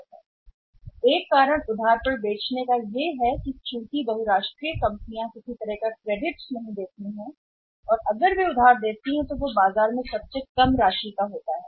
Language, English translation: Hindi, So, one reason of discipline in selling on credit is that since this multinational do not give any kind of credit sorry if they give the credits very, very lesser amount of credit they give in the market